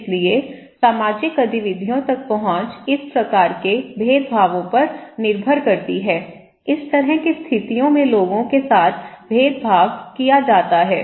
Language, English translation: Hindi, So, access to social activities depends on one or another of these kinds of discriminations, people are discriminated in this kind of situations okay